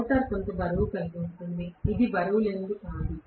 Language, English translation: Telugu, The rotor has some weight; it is not weightless